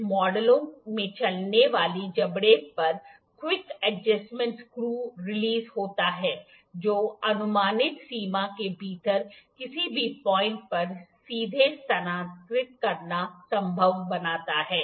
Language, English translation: Hindi, Some models have quick adjustment screw release on the movable jaw that makes it possible to directly move to any point within the approximate range